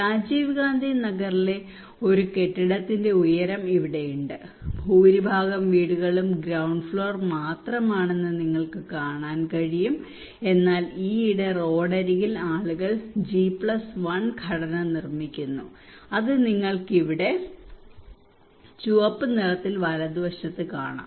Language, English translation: Malayalam, So here is a building height in Rajiv Gandhi Nagar you can see the most of the houses are ground floor only, but recently particularly close to the roadside people are constructing G+1 structure that is you can see in red here in the right hand side